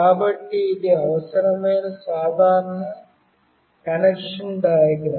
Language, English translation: Telugu, So, this is the simple connection diagram that is required